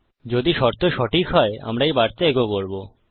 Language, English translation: Bengali, If this condition is true, we will echo this message